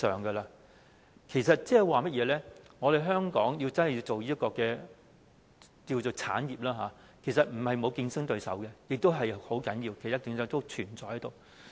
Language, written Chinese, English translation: Cantonese, 換言之，香港真的要推動這產業，其實並非沒有競爭對手，這是很重要的，競爭對手一直存在着。, In other words if Hong Kong is to promote the business we must not think that there are no competitors . This is very important . Competitors are always there